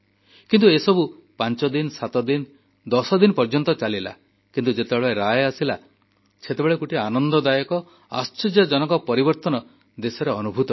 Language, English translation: Odia, But this scenario had continued for five days, or seven days, or ten days, but, the delivery of the court's decision generated a pleasant and surprising change of mood in the country